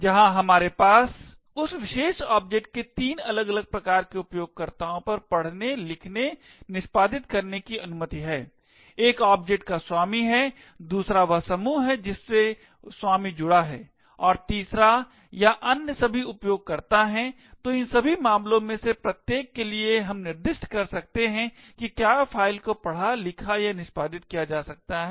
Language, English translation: Hindi, Where we have the read, write, execute operations that are permitted on three different types of users of that particular object, one is the owner of the object, second is the group which the owner belongs to and the third or are all the other users, so for each of these cases we can specify whether the file can be read, written to or executed